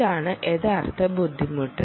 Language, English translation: Malayalam, ok, that is the real difficulty ()